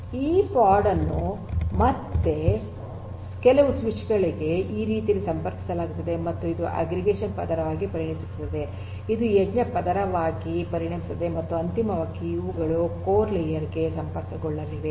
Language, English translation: Kannada, So, this pod will again be connected to some other switches in this manner and again this becomes your aggregation layer, this becomes your edge layer and finally, you will have also the core layer like before where these are going to connect